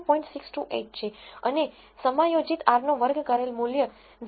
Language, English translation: Gujarati, 628 and the adjusted r square is 0